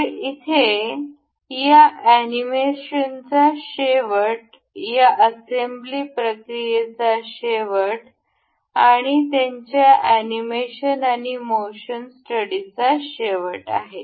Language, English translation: Marathi, So, here comes the end of this animation of here comes the end for this assembly process and their animation and motion study